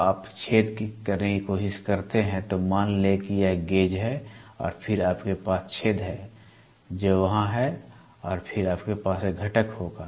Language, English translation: Hindi, It can be when you try to do a hole suppose this is the gauge and then you have hole which is there and then you will have a component